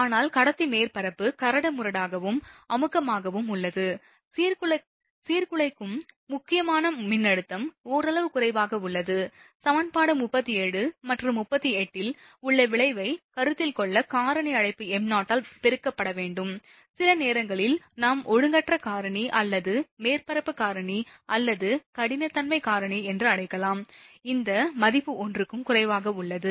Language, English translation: Tamil, But conductor surface is rough and dirty, the disruptive critical voltage is somewhat less, see in that case to consider the effect in equation 37 and 38 must be multiplied by factor call m0, known as sometimes we call irregularity factor or surface factor or roughness factor, this value will be less than 1, right